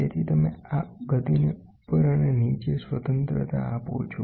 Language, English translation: Gujarati, So, you this gives you a freedom of this motion up and down